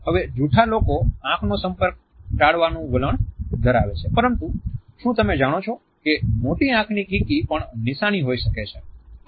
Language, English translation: Gujarati, Now a liars tend to avoid eye contact, but did you know the dilated pupils can also be a sign